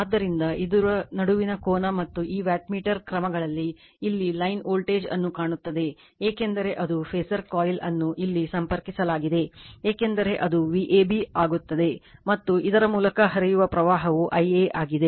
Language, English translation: Kannada, Therefore angle between this , and these wattmeter measures actually , looks the line voltage here because it is phasor coil is connected here it will V a b because right and the current flowing through this is I a